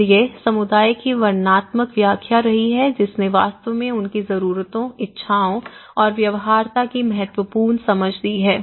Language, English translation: Hindi, So, this has been the descriptive lure of a community have actually given a significant understanding of their needs and wants and the feasibilities